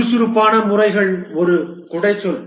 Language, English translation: Tamil, The agile methodologies is an umbrella term